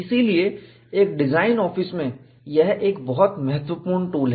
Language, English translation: Hindi, So, in a design office, this is a very useful tool